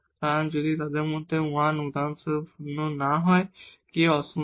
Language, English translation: Bengali, So, if 1 of them is non zero for example, k is non zero